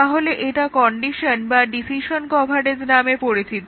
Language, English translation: Bengali, So, that is known as the condition or decision coverage